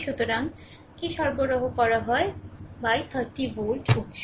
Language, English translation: Bengali, So, what is the power supplied by the 30 volt source right